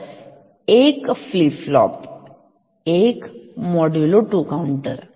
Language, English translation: Marathi, So, 1 flip flop is just a modulo 2 counter